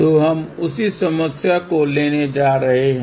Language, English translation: Hindi, So, we are going to take the same problem